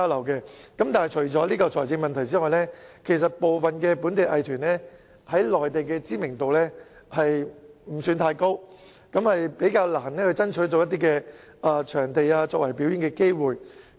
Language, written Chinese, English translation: Cantonese, 可是，除了財政問題外，部分本地藝團在內地的知名度不高，較難爭取到表演機會。, Nevertheless in addition to the financial problem some local arts groups are less well - known on the Mainland and it is thus rather difficult for them to fight for performing opportunities